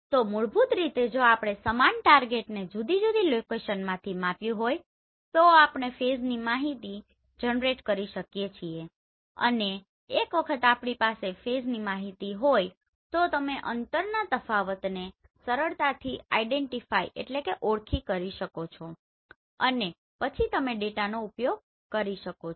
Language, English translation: Gujarati, So basically if we have measured the same target from two different location we can generate the phase information and once we have the phase information you can easily identify the differences in distance and then you can use this data